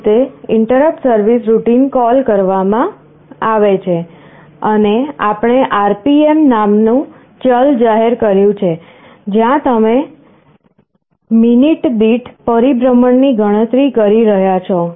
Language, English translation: Gujarati, That is how interrupt service routine gets called, and we have declared a variable called RPM, where you are counting revolutions per minute